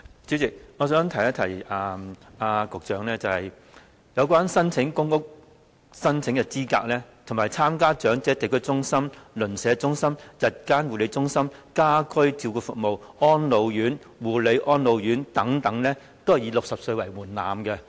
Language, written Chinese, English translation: Cantonese, 主席，我想提醒局長，申請公屋的資格，以及參加長者地區中心、鄰舍中心、日間護理中心、家居照顧服務、安老院、護理安老院等均以60歲為門檻。, President I would like to remind the Secretary that eligible age for application for public housing District Elderly Community Centre Neighbourhood Elderly Centre Day Care Centres Home Care Services Homes for the Aged Care and Attention Homes for the Elderly and so on are all 60